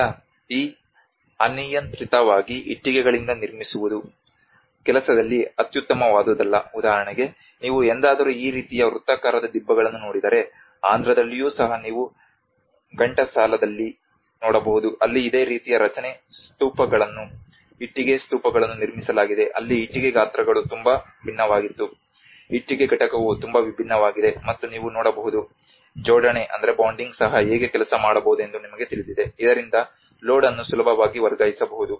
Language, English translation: Kannada, Now, these undulating bricklayers not the best of the workmanship, for instance, if you ever look at this kind of circular mounds, even in Andhra you can see in Ghantasala where this similar kind of structures Stupas have been brick Stupas have been constructed where the brick sizes were very different the brick component is very different and even the bonding you can see that you know how the bonding could be also worked out so that the load could be transferred easily